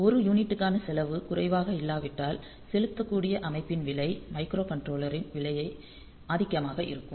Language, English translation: Tamil, So, if the cost per unit is not low then the cost of the system who may get dominated by the cost of the microcontroller